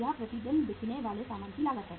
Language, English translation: Hindi, This is the cost of goods sold per day